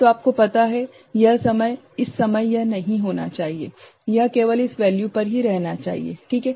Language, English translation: Hindi, So, at that time it should not you know, it should remain at that value only ok